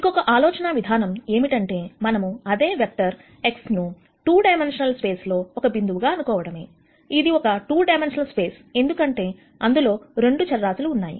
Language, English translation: Telugu, Another way to think about the same vector X is to think of this as actually a point in a 2 dimensional space and here we say, it is a 2 dimensional space because there are 2 variables